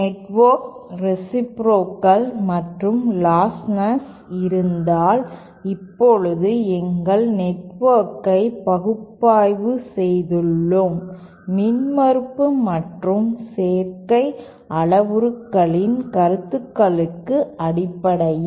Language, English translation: Tamil, And if the network is both reciprocal and lostless so now we have analyzed our network for with respect to the concepts of impedance and admittance parameters